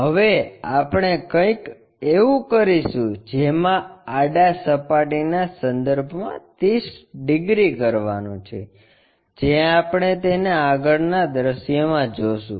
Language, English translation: Gujarati, Now, what we have to do is 30 degrees with respect to horizontal plane, which we will see it in the front view